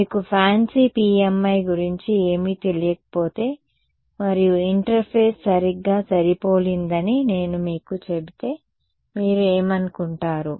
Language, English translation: Telugu, If you did not know anything about fancy PMI and I told you interface is perfectly matched what would you think